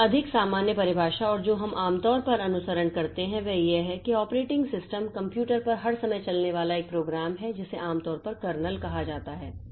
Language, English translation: Hindi, A more common definition and the one that we usually follow is that the operating system is the one program running at all times on the computer usually called the kernel